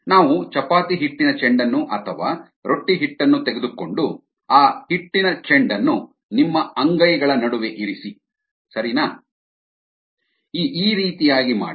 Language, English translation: Kannada, let us take a ball of chapati dough or roti dough and place that dough ball between the palms of your hands, right something like this